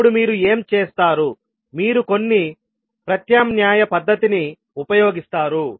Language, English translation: Telugu, Then what you will do, you will use some alternate technique